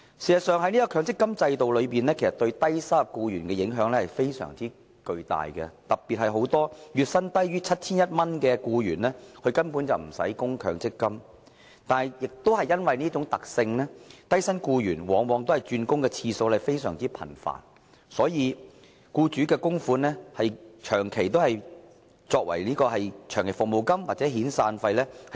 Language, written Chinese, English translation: Cantonese, 強積金對沖機制對低收入僱員的影響至為重大，特別是月薪低於 7,100 元的僱員根本無需作出強積金供款，但亦因為這種特性，低薪僱員轉工的次數往往較為頻繁，所以僱主的供款長期以來都用來對沖長期服務金或遣散費。, The MPF offsetting mechanism has an extremely significant impact on low - income employees especially when employees whose monthly salary is lower than 7,100 actually need not make any MPF contributions . However it is also because of this particular feature that low - income employees invariably change jobs more frequently . For this reason the employers contributions have long since been used to offset long service or severance payment